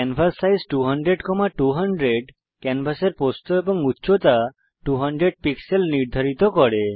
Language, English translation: Bengali, canvassize 200,200 sets the canvas width and height to 200 pixels